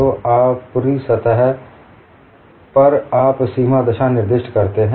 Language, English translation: Hindi, So, on the top surface, you specify the bulk boundary condition